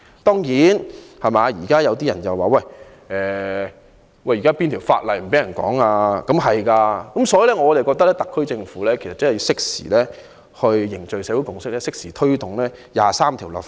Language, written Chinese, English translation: Cantonese, 當然，有些人說現時沒有法例禁止人討論"港獨"，所以我覺得特區政府要適時凝聚社會共識，推動就《基本法》第二十三條立法。, Certainly some say that there are no laws that prohibit people from discussing Hong Kong independence these days . Therefore I believe that the SAR Government should forge a social consensus at an opportune time and proceed to enact legislation on Article 23 of the Basic Law